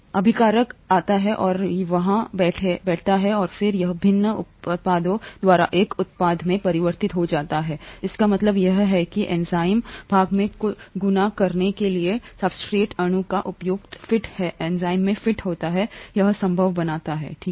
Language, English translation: Hindi, The reactant comes and sits there and then it gets converted to a product by various different means and it is the appropriate fit of the substrate molecule to the fold in the enzyme, a part of the enzyme that makes this possible, okay